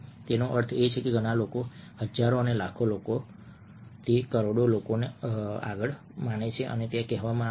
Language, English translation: Gujarati, that means very many people, thousands and millions of people, crors of people believe what is being said over there